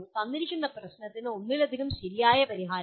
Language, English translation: Malayalam, Multiple correct solutions to a given problem